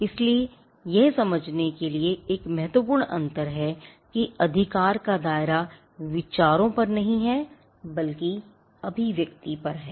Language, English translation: Hindi, So, this is a key distinction to understand that the scope of the right is not on the ideas, but on the expression